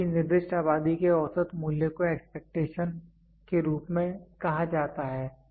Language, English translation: Hindi, The mean value of specified population of measurements is called as expectation